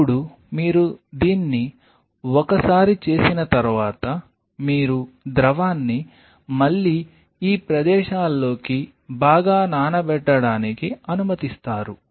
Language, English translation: Telugu, Now, once you do this you allow the fluid to get soaked again into these spaces fine